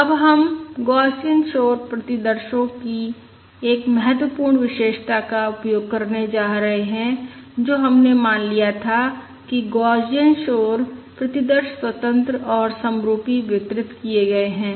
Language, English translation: Hindi, yeah, Now we are going to use an important property of the Gaussian noise samples that we are um, we had assumed that is the Gaussian noise samples are independent and identically distributed